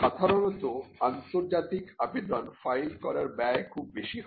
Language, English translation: Bengali, Usually, the cost of filing international applications is very high